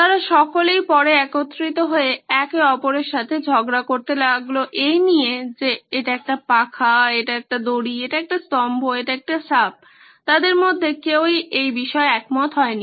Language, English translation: Bengali, They all came together later and started quarrelling amongst each other saying no this is a fan, this is a rope, this is a pillar, this is a snake, none of them really agreed upon this